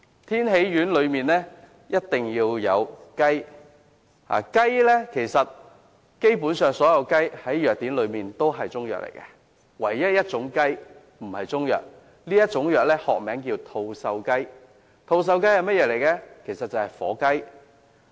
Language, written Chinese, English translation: Cantonese, 天喜丸的成分必須包括雞，而基本上所有雞隻在藥典中也屬於中藥，除了一種雞不屬於中藥，學名叫吐綬雞，即是火雞。, Chicken is an essential ingredient of Tianxi pills . According to the pharmacopoeia basically all chickens are regarded as Chinese medicine . The only exception is Tushouji which is turkey